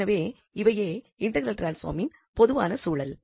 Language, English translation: Tamil, So, this is the general context of these integral transforms